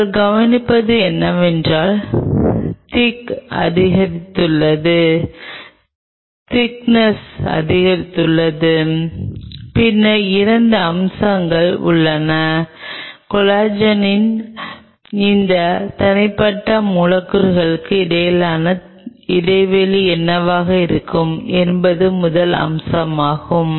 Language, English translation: Tamil, What will you observe is the thickness has gone up, the thickness has gone up then there are 2 aspects which will come into play; the first aspect which will be coming to play is what will be the space between these individual molecules of collagen